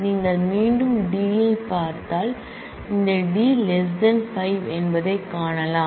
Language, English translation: Tamil, Then you again look at D we find that this D is less than 5